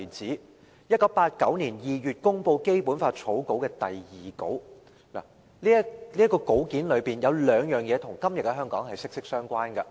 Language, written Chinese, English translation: Cantonese, 在1989年2月公布的《基本法》草稿的第二稿，當中有兩件事與今天的香港息息相關。, There are two items in the second draft of the Basic Law promulgated in February 1989 which are closely related to Hong Kong nowadays